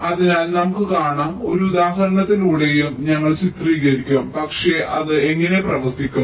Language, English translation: Malayalam, we shall illustrative through an example also, but how it works, lets look in to it